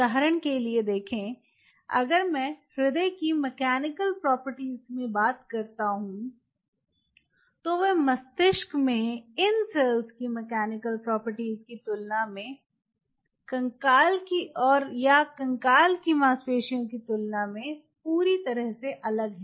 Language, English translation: Hindi, right, see, for example, if i talk about the mechanical property of the heart, they are entirely different than the skeletal muscle